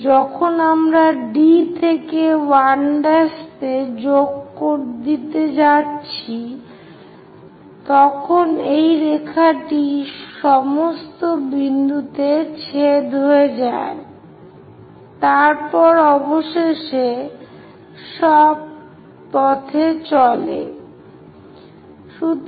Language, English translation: Bengali, When we are joining D to 1 dash, this line goes all the way intersect at that point, then finally goes all the way